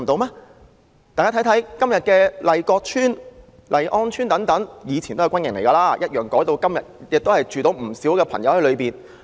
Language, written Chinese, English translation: Cantonese, 大家看看，今天的麗閣邨、麗安邨等，前身都是軍營，改變用途後容納了不少人居民。, Consider todays Lai Kok Estate Lai On Estate and the like . These ex - barracks have accommodated many residents after the change in land use